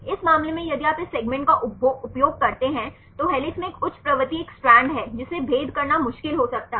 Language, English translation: Hindi, In this case if you use this segment a high propensity in helix is an strand this can be difficult to distinguish